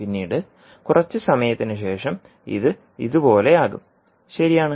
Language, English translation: Malayalam, And after some time it may leave and will become like this